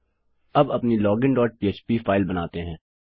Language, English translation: Hindi, Now let us create our login dot php file